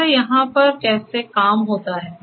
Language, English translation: Hindi, Like how things work over here